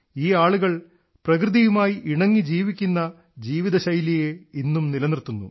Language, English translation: Malayalam, These people have kept the lifestyle of living in harmony with nature alive even today